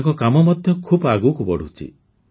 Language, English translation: Odia, His work is also progressing a lot